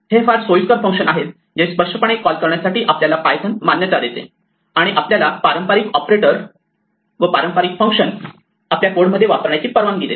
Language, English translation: Marathi, These are all very convenient functions that python allows us to call implicitly, and allows us to use conventional operators and conventional functions in our code